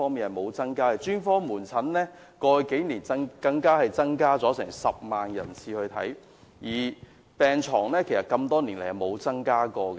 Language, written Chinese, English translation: Cantonese, 過去數年專科門診的求診人次增加了10萬，病床多年來卻沒有增加。, In the past few years while the number of attendances at psychiatric specialist outpatient clinics has increased by 100 000 the number of psychiatric beds has not increased